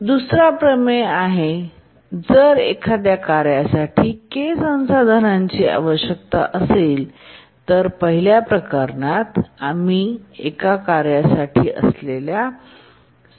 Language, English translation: Marathi, The second theorem is that if a task needs K resources, the first one we had looked at one resource needed by a task